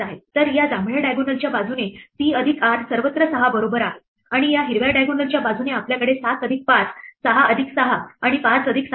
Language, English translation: Marathi, So, along this purple diagonal c plus r is equal to 6 everywhere, and along this green diagonal we have 7 plus 5, 6 plus 6 and 5 plus 7